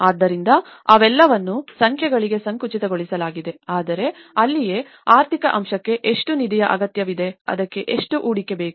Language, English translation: Kannada, So, they are all narrowed down to numbers but that is where it is more to do with the economic aspect how much fund is required for it, how much investment is needed for that